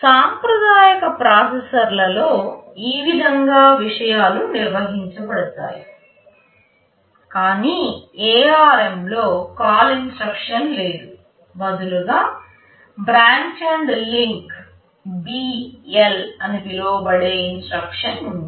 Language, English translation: Telugu, That is how the things are handled in a conventional processor, but in ARM there is no CALL instruction rather there is an instruction called branch and link, BL in short